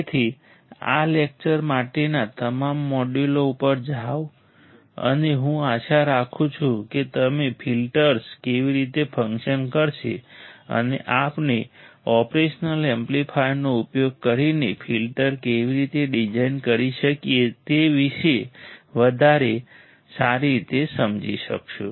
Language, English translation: Gujarati, So, just go through all the modules for this lecture and I am hoping that you will understand better about how the filters would work and how we can design a filter using operational amplifier alright